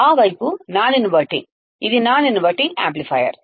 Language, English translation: Telugu, That side is non inverting, it is a non inverting amplifier